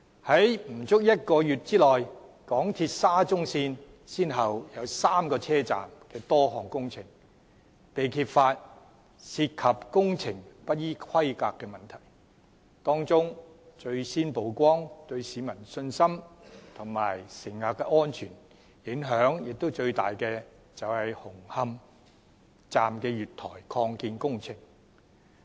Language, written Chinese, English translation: Cantonese, 在不足1個月內，港鐵沙中線先後有3個車站的多項工程被揭發涉及工程不依規格的問題，當中最先曝光，對市民信心及乘客安全影響最大的是紅磡站的月台擴建工程。, In less than a month it has been successively discovered that works at three stations of SCL have not complied with the requirements . The first incident that came to light concerns the expansion works at the platforms of Hung Hom Station which has the greatest impact on public confidence and passenger safety